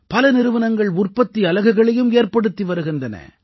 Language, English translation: Tamil, Many companies are also setting up manufacturing units